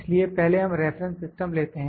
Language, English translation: Hindi, So, first we take the reference system